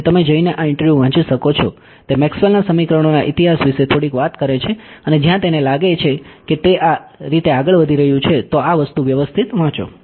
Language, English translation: Gujarati, So, you can go and read this interview, he talks about I mean a little bit of history of Maxwell’s equations and where he thinks it is going in so on and so on, do read this thing alright